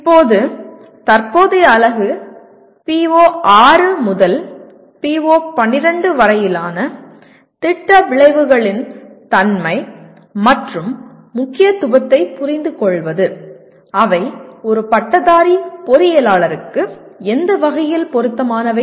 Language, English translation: Tamil, Now the present unit, the outcome is to understand the nature and importance of program outcomes starting from PO6 to PO12 in what way they are relevant to a graduating engineer